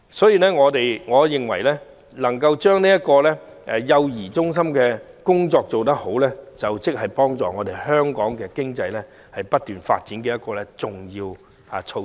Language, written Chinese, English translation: Cantonese, 因此，我認為將幼兒中心的工作做好是促進香港經濟不斷發展的一項重要措施。, Hence I consider the effective delivery of services by child care centres a vital measure for the promotion of continuous economic development of Hong Kong